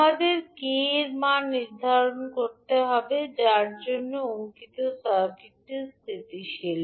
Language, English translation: Bengali, We need to determine the value of k for which the circuit which is given in figure is stable